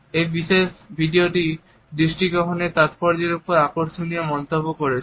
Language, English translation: Bengali, This particular video is when interesting commentary on the significance of eye contact